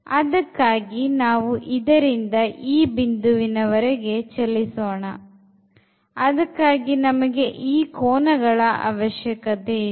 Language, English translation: Kannada, So, we need this here and we need that, so these two angles